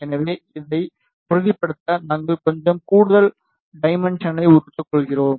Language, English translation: Tamil, So, we just to ensure this we take little extra dimension